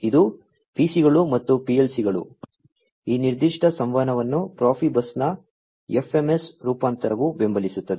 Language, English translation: Kannada, So, this is PCs and PLCs, this particular communication is supported by the FMS variant of Profibus